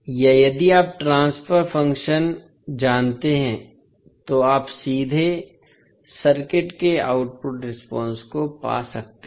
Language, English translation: Hindi, Or if you know the transfer function, you can straight away find the output response of the circuit